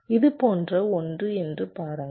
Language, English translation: Tamil, see, it is something like this